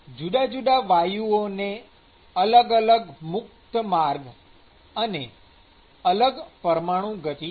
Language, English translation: Gujarati, And different gases will have a different mean free path and the different molecular speed